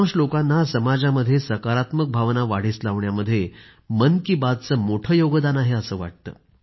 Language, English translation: Marathi, Most people believe that the greatest contribution of 'Mann Ki Baat' has been the enhancement of a feeling of positivity in our society